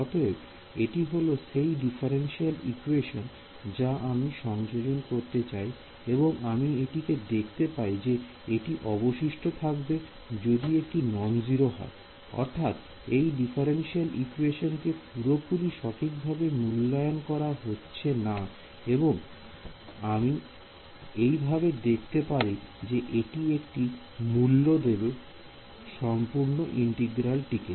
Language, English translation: Bengali, So, this is the differential equation I want to enforce, so this is I can give view this as a residual if this is non zero; that means, the differential equation is not being fully obeyed correct, and I can view this as a weight for this overall integral